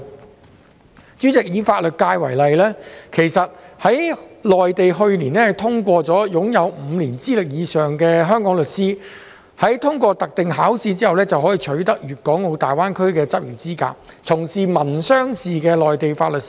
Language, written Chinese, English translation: Cantonese, 代理主席，以法律界為例，內地於去年通過了一項決定，容許擁有5年以上資歷的香港律師在通過特定考試之後，取得大灣區的執業資格，從事民商事的內地法律事務。, Deputy President let me take the legal sector as an example . The Mainland adopted a decision to allow Hong Kong legal practitioners with five years of experience or above to obtain practice qualification in the Greater Bay Area for engaging in matters on civil and commercial areas of the Mainland laws upon passing a special examination